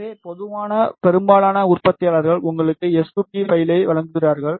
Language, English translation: Tamil, So, in general most of the manufacturers provide you s2p file